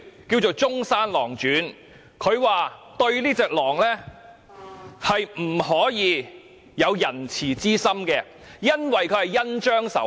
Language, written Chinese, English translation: Cantonese, 他以《中山狼傳》作比喻，說明不可對狼有仁慈之心，因為狼會恩將仇報。, He quoted Zhongshan Lang Zhuan as an analogy to state that one should not be kind to a wolf for the wolf would repay kindness with evil